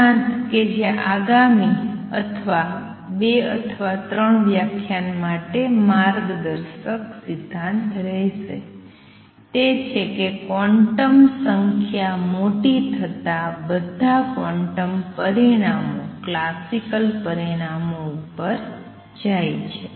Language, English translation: Gujarati, Principle which will be guiding principle for or next two or three lectures, is that as quantum numbers become large all quantum results go to a classical results